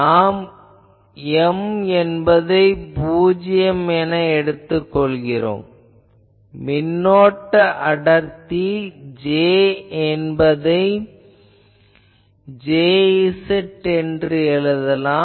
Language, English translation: Tamil, So, we can say that M is equal to 0 here, and our current density J that we will write as J z